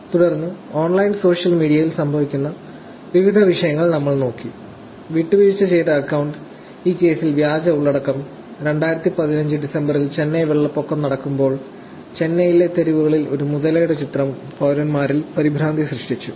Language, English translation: Malayalam, So, we looked at different issues that are happening on online social media; compromised account, fake content in this case; and image of a crocodile on the streets of Chennai, while Chennai floods was going on in December 2015, caused panic among citizens